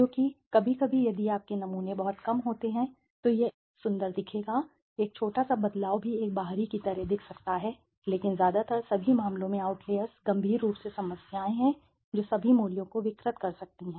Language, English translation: Hindi, Because yes, sometimes if your samples are too less anything it would look like an outlier a small even change could look like an outlier but if you are, but mostly in all most all the cases outliers are critically problems which can distort all the values, right